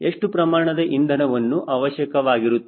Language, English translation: Kannada, so how much fuel will be consumed